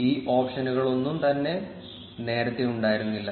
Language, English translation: Malayalam, All of these options were not present earlier